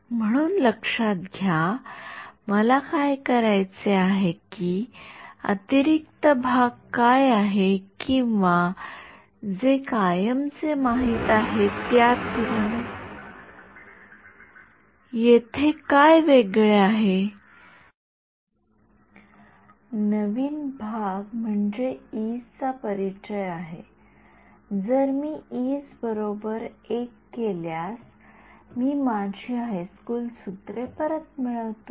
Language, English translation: Marathi, So, notice I mean what is the what is the additional part or what is different here compared to what we knew forever, the new part is the introduction of the e’s, if I make the e’s equal to 1, I get back my high school formulas